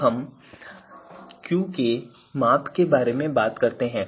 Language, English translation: Hindi, So, this is about the metric Qk